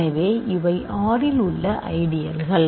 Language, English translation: Tamil, So, R has four ideals